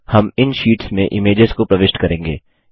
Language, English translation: Hindi, We will insert images in this sheets